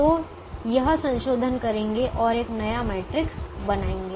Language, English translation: Hindi, so make this modification and create a new matrix